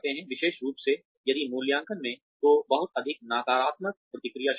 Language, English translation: Hindi, Especially, if the appraisal contains, a lot of negative feedback